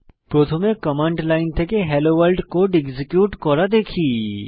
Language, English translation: Bengali, First let us see how to execute the Hello World code from command line